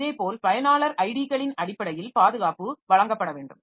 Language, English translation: Tamil, Similarly, security has to be provided in terms of user IDs and all